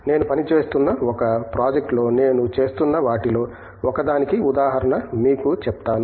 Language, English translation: Telugu, I will tell you the example of one of the things of that I am doing on one of the projects that I am working on